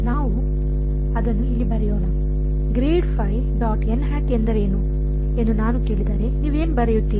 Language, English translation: Kannada, So, let us just write this over let us write this over here